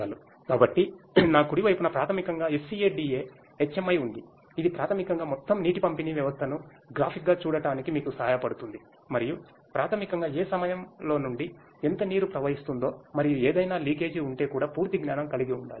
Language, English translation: Telugu, So, on my right is basically the SCADA HMI which basically helps you to graphically have a look at the entire water distribution system and basically to have complete knowledge of from which point how much water is flowing through and also if there is any leakage at any of the points that also can be detected through this particular interface